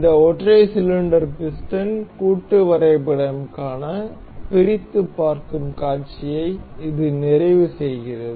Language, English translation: Tamil, So, this completes the explode view for this single cylinder piston assembly